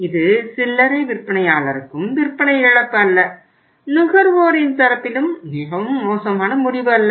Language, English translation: Tamil, It is not of the sale to the retailer and not a very bad decision on the part of the consumer